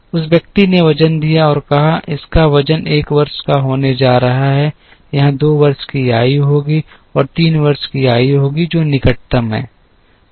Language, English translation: Hindi, The person gave weights and said, this is going to have a weight age of 1, here there will be a weight age of 2, and here there will be a weight age of 3 which is the closest